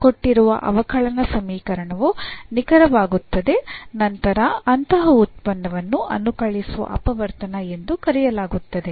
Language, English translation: Kannada, The given differential equation becomes exact then such a function is called the integrating factor